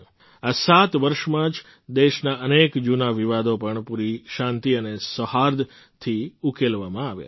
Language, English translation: Gujarati, In these 7 years, many old contestations of the country have also been resolved with complete peace and harmony